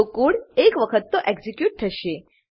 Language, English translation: Gujarati, So, the code will be executed at least once